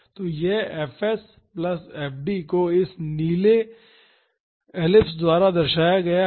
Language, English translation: Hindi, So, this fs plus f D is represented by this blue ellipse